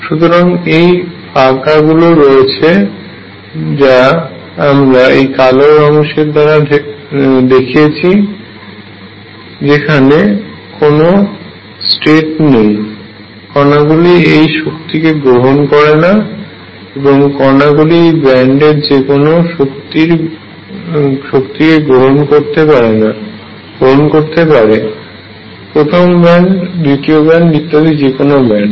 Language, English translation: Bengali, So, there are these gaps which open up which I have show by this black portion where no state exists, these energies cannot be taken up by the particle and the particle can take any energy in this band; first band second band and so on you may ask why did I start with free particles, I could have started with atoms